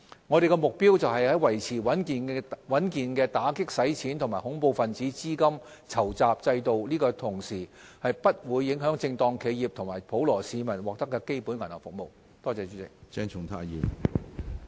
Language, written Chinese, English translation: Cantonese, 我們的目標是在維持穩健的打擊洗錢及恐怖分子資金籌集制度的同時，不會影響正當企業及普羅市民獲得基本銀行服務。, Our aim is to maintain a robust AMLCFT regime in Hong Kong which does not undermine access by legitimate businesses and ordinary citizens to basic banking services